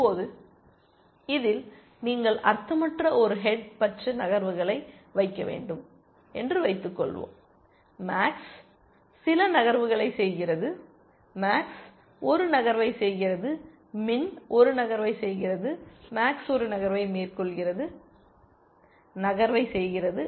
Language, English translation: Tamil, Now, supposing in this you were to insert a set of arbitrary moves which are pointless let us say, max makes some move, max makes a move, min makes a move, max makes a move, makes the move